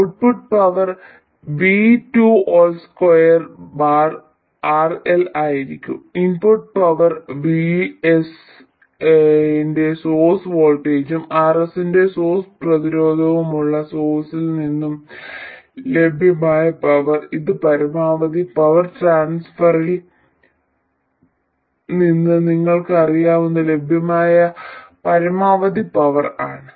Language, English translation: Malayalam, The output power will be V2 square by RL and the input power, the available power from the source which has a source voltage of VS and a source resistance of RS, this is the maximum available power which you know from maximum power transfer is VS square by 4RS